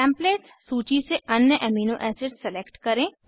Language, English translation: Hindi, Select other Amino Acids from Templates list